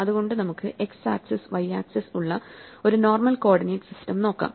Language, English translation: Malayalam, So, we are just thinking about a normal coordinate system, where we have the x axis, the y axis